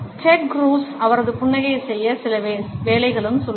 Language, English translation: Tamil, And Ted Cruz, also has some work to do on his smile